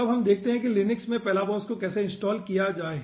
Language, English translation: Hindi, okay, then let us see how to install the palabos in linux